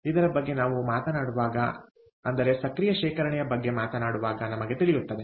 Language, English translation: Kannada, i will come to that when we talk about active storage, we will know